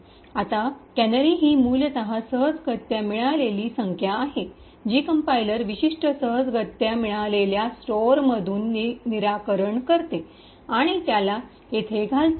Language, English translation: Marathi, Now a canary is essentially a random number which the compiler fix from a particular random store and inserts it over here